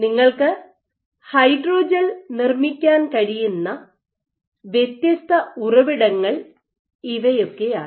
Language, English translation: Malayalam, So, these are the different sources in which you can make the hydrogel